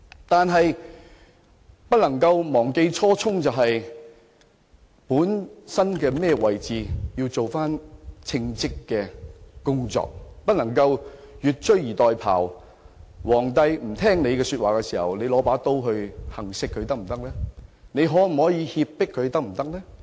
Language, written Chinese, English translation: Cantonese, 但是，我們不能忘記初衷，本來在甚麼位置，便應要做與該位置相稱的工作，不能越俎代庖，當皇帝不聽從你意見時便持刀行刺或脅迫他，可以這樣做的嗎？, However one should not forget whose original intent . A person should act in accordance with what his original position suggests and never overstep the mark . Will it be acceptable that you attempt to assassinate the emperor or put him under duress with a knife when he refuses to act on your advice?